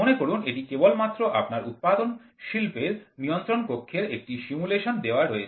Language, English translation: Bengali, Suppose this is just to give you a simulation of your control room which is there in a processing industry